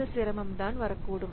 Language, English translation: Tamil, So, this is the difficulty that can come